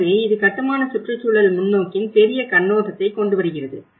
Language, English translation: Tamil, So, this brings a larger perspective of the built environment perspective